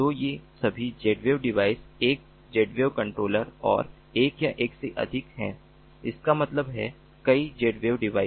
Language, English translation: Hindi, so these are all z wave devices: one z wave controller and one or more